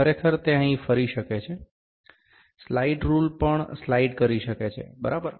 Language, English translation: Gujarati, Actually, it is rotating here, it can slide rule can also slide, ok